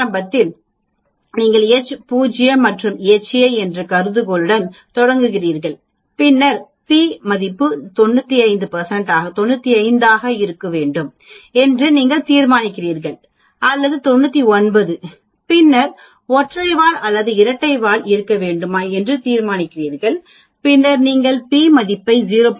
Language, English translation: Tamil, Initially you start with the hypothesis H naught and H a, then you decide on your p value should be 95 or 99, then you decide on a tail should it be single tail or double tail, then you calculate the p value and then you compare p value less than 0